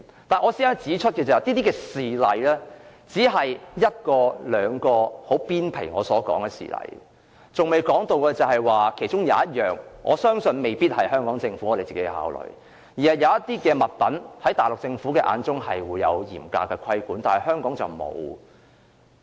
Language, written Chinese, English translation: Cantonese, 但是，我想指出的是，上述這些事例只屬皮毛，還未觸及一項我相信未必可由香港政府自行考慮的問題，那就是對於某些物品，內地政府有嚴格的規管，香港則沒有。, However I would like to point out that the above examples are only of a trivial nature and they have not yet touched on an issue which I believe the Hong Kong Government cannot possibly address on its own that is the handling of certain goods which are not regulated in Hong Kong but are subject to stringent regulation by the Mainland Government